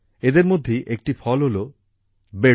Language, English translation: Bengali, One of them is the fruit Bedu